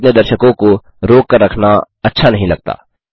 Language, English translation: Hindi, I dont like to keep the viewers on hold